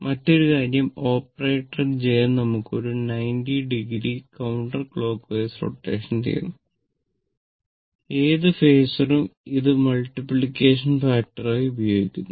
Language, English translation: Malayalam, So, another thing is that the operator j produces 90 degree counter clockwise rotation, right of any phasor to which it is applied as a multiplying factor